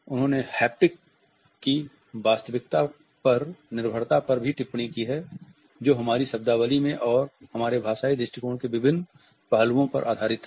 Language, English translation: Hindi, She has also commented on the reliance on haptic reality which has seeped into our vocabulary and in different aspects of our linguistic usages